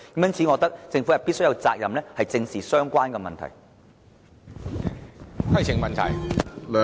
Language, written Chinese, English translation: Cantonese, 因此，我覺得政府有責任，必須正視相關的問題。, Therefore I believe the Government has the responsibility to seriously deal with these problems